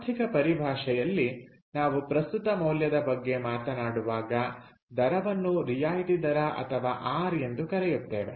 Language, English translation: Kannada, ok, so in the economic jargon, when we are talking about present value, that rate is called the discount rate or r